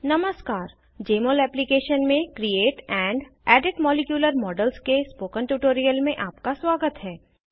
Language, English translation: Hindi, Welcome to this tutorial on Create and Edit molecular models in Jmol Application